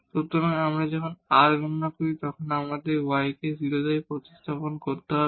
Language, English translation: Bengali, So, when we compute r, so we need to substitute y to 0 here